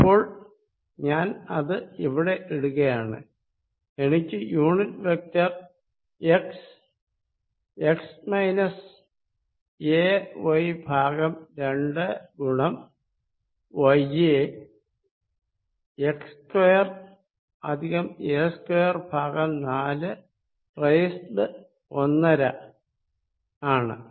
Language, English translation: Malayalam, So, I put this here, I am going to get the unit vector x x minus a by 2 y divided by x square plus a square by 4 1 half